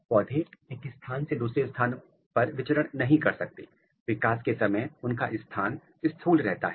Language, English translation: Hindi, Plant cannot move from one place to another place, their position is fixed during the development